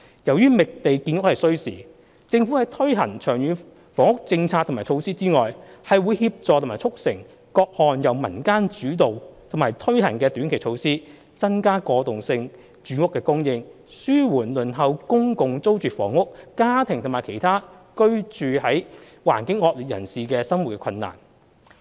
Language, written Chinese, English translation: Cantonese, 由於覓地建屋需時，政府在推行長遠房屋政策和措施以外，會協助和促成各項由民間主導和推行的短期措施，增加過渡性住屋供應，紓緩輪候公共租住房屋家庭和其他居住環境惡劣人士的生活困難。, Since it takes time to identify land for increasing housing supply in addition to carrying out the long - term housing policy and measures the Government will support and facilitate the implementation of various short - term initiatives on transitional housing to alleviate the hardship faced by families awaiting public rental housing PRH and the inadequately housed